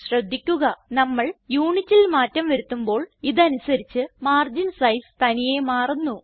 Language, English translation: Malayalam, Note that when we change the Unit, margin sizes automatically change to suit the Unit